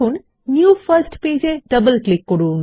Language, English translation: Bengali, Now double click on the new first page